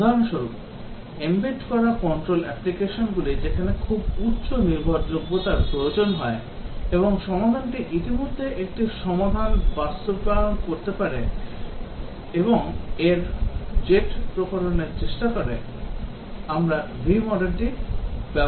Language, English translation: Bengali, For example, embedded control applications, where very high reliability is required and the solution might have already implemented one solution and trying small variation of that, we will use the V model